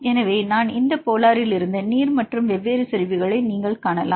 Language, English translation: Tamil, So, you can see this non polar to aqueous and the different concentration